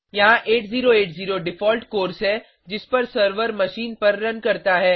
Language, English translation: Hindi, Here 8080 is the default course at which the server runs on the machine